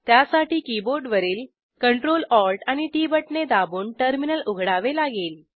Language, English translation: Marathi, For this we need to oepn the terminal by pressing CTRL + ALT and T keys simultaneously on your keyboard